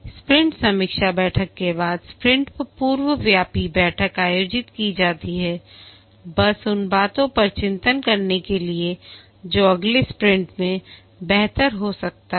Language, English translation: Hindi, The sprint retrospective meeting is conducted after the sprint review meeting just to reflect on the things that have been done what could be improved to be taken up in the next sprint and so on